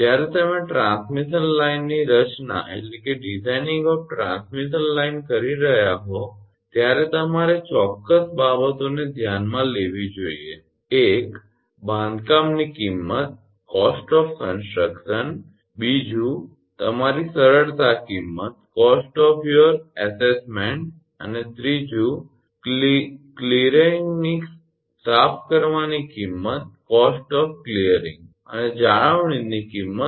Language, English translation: Gujarati, When you are designing transmission line certain things you have to consider; one is cost of construction, two is cost of your easements and three, cost of clearing and cost of maintenance